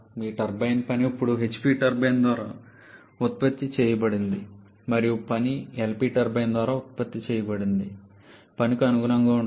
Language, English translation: Telugu, Your turbine work now corresponds to the work produced by the HP turbine plus the work produced by the LP turbine